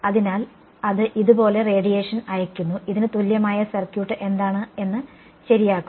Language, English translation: Malayalam, So, it is sending out radiation like this, correct what is the circuit equivalent of this